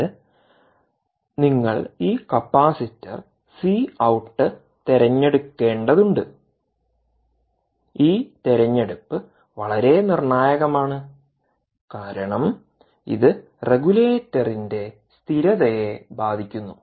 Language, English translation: Malayalam, you have to choose this capacitor and this choice is indeed very critical because it has the bearing on the stability of the regulator